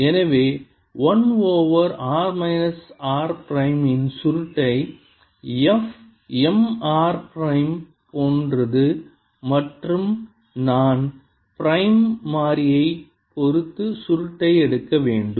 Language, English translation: Tamil, therefore curl of one over r minus r prime, which is like f m r prime and should be taking curl with respect to the prime variable